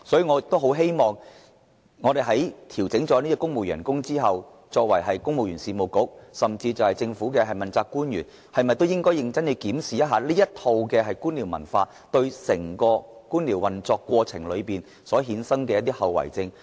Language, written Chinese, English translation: Cantonese, 我希望在調整公務員薪酬後，公務員事務局和政府問責官員能夠認真檢視官僚文化對整個官僚運作所造成的後遺症。, I hope after the civil service pay adjustment the Civil Service Bureau and accountable officials can seriously examine the sequelae of the bureaucratic culture on the operation of the entire bureaucracy